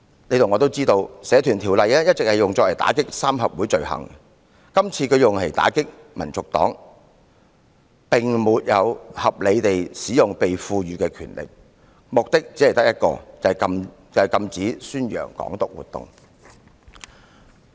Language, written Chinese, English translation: Cantonese, 大家都知道，《社團條例》一直用以打擊三合會罪行，今次用來打擊香港民族黨，便是沒有合理地使用被賦予的權力，其目的只有一個，就是禁止宣揚"港獨"。, Everyone knows that the Societies Ordinance has all along been used to crack down on triad crimes . This time the Government invoked the Ordinance to ban HKNP . It has unreasonably used its power for the sole purpose of stopping the promotion of Hong Kong independence